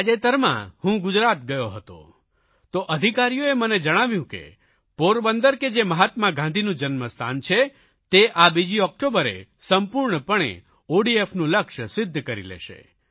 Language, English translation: Gujarati, I visited Gujarat recently and the officers there informed me that Porbandar, the birth place of Mahatma Gandhi, will achieve the target of total ODF on 2nd October, 2016